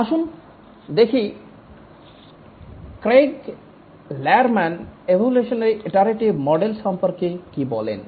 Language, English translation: Bengali, Let's see what Craig Lerman has to say about evolutionary model with iteration